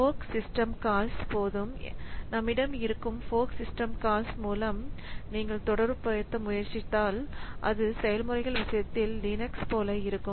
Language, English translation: Tamil, So, if you try to correlate like with the fork system call that we have in case of the fork system call that we have in case of Linux in case of processes